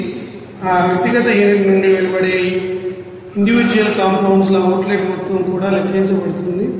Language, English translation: Telugu, And also what would be the outlet amount of individual compounds also given which is coming out from that individual unit all are calculated